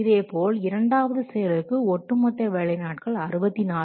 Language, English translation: Tamil, So up to the third activity, the cumulative work day is 64 days